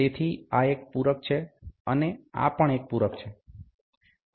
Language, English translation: Gujarati, So, this is supplement, and this is also a supplement